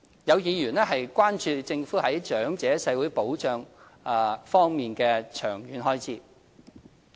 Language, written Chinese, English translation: Cantonese, 有議員關注政府在長者社會保障方面的長遠開支。, Some Members have expressed concern about the Governments long - term expenses on elderly social security